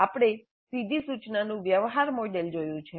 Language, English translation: Gujarati, We have seen the transaction model of direct instruction